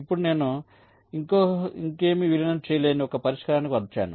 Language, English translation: Telugu, now i have arrived at a solution where you cannot merge anything else any further